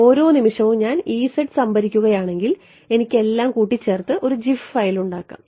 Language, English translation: Malayalam, If I store the E z at every time instant I can put it all together and make gif file